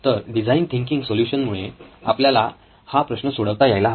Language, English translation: Marathi, So the design thinking solution should address this and this is what we are seeking